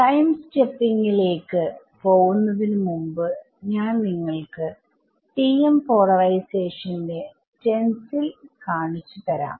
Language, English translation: Malayalam, Before we move to Time Stepping, I thought at of just for sake of completeness I will also show you the stencil for TM polarization